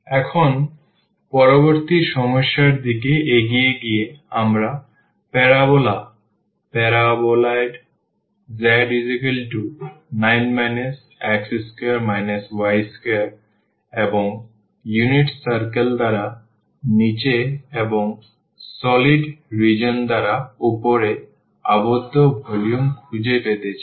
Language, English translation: Bengali, Moving now to the next problem, you want to find the volume of the solid region bounded above by the parabola, paraboloid z is equal to 9 minus x square minus y square and below by the unit circle